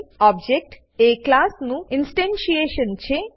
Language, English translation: Gujarati, An object is an instantiation of a class